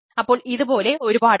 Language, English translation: Malayalam, so there are several